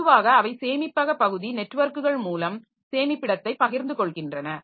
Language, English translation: Tamil, So, normally they share storage by a storage area network, sand